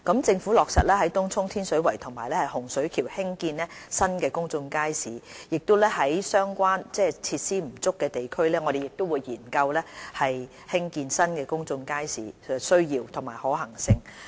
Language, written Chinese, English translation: Cantonese, 政府已落實在東涌、天水圍和洪水橋興建新公眾街市；在設施不足的地區，我們亦會研究興建新公眾街市的需要及可行性。, The Government will build new public markets in Tung Chung Tin Shui Wai and Hung Shui Kiu and will study the necessity and feasibility of building new public markets in districts with inadequate facilities